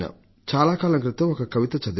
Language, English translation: Telugu, There was a poem I had read long ago